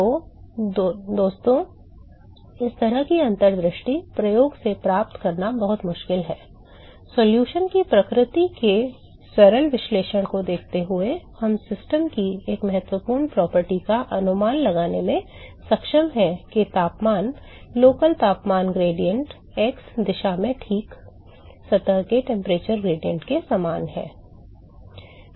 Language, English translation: Hindi, So, such kind of an insight is very difficult to get from experiment guys you looking at simple analysis of the nature of the solution, we are able to estimate an important property of the system that the temperature, local temperature gradient in the x direction is same as the temperature gradient of the surface alright